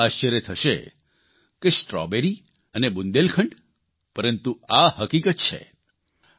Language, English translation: Gujarati, Everyone is surprised Strawberry and Bundelkhand